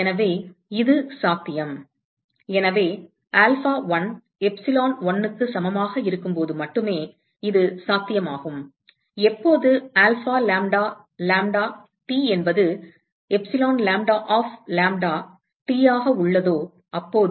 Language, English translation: Tamil, So, this is possible, so this is possible only when so alpha1 equal to epsilon1 only when alpha lambda lambda, T equal to epsilon lambda of lambda,T